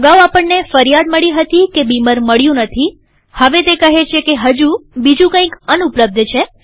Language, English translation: Gujarati, Previously we got the complaint that Beamer was not found now it says that something else is not available